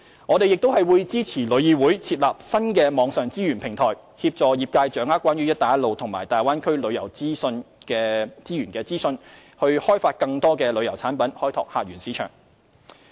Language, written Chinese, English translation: Cantonese, 我們並會支持旅議會設立新網上資源平台，協助業界掌握關於"一帶一路"及大灣區旅遊資源的資訊，以開發更多旅遊產品，開拓客源市場。, We will also support the establishment of an online resources platform by TIC to assist the industry in grasping information of the tourism resources of Belt and Road and Bay Area with a view to developing more tourism products and visitor source markets